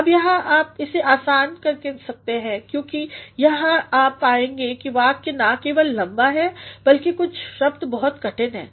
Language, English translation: Hindi, Now here, you can simply because here you find that the sentence is not only long but some of the words are very difficult